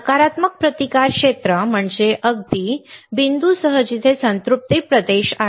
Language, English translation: Marathi, What is negative resistance region with a very point where is a saturation region